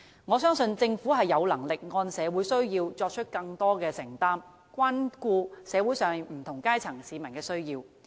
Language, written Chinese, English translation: Cantonese, 我相信，政府有能力按社會需要作出更多承擔，關顧社會上不同階層市民的需要。, I believe it has the capability to make more commitments in accordance with the requirements of society and take care of the needs of the people from various social strata